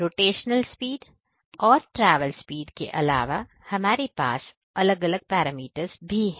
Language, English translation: Hindi, So, apart from this rotational speed and travel speed we have two different parameters as well